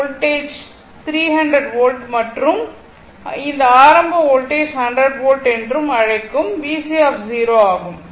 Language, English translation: Tamil, And this point voltage is 300 volt and this initial voltage was V C 0 your what you call 100 volt